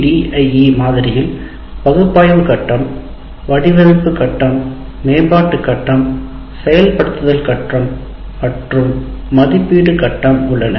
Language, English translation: Tamil, ADD model has analysis phase, design phase, development phase followed by implement phase and evaluate phase